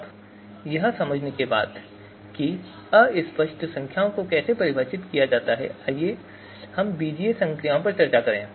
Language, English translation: Hindi, Now, having understood how to define fuzzy numbers let us discuss the algebraic operations